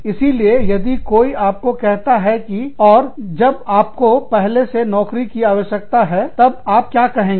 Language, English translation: Hindi, So, if somebody tells you that, and you already, you need the job, what will you say